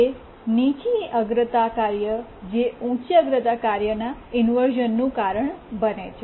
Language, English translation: Gujarati, Only the low priority tasks can cause inversion to a higher priority task